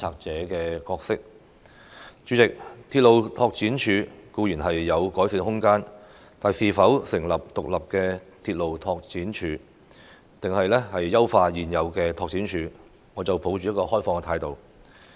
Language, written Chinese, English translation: Cantonese, 主席，鐵路拓展處固然有改善的空間，但究竟應該成立獨立的鐵路拓展署，還是優化現有的鐵路拓展處，我抱持開放的態度。, President there is admittedly room for improvement in RDO but as to whether an independent RDO should be set up or the existing RDO should be optimized I adopt an open attitude